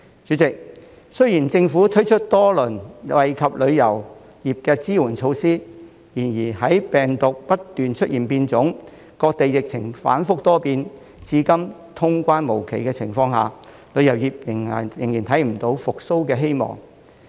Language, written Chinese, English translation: Cantonese, 主席，雖然政府推出多輪惠及旅遊業的支援措施，然而，在病毒不斷出現變種、各地疫情反覆多變，至今通關無期的情況下，旅遊業仍然看不到復蘇的希望。, President although the Government has launched several rounds of support measures that benefit the tourism industry there is still no hope for the industry to recover in the face of the continuous mutation of the virus the volatility of the epidemic situation in various places and no definitive date for the resumption of cross - border travel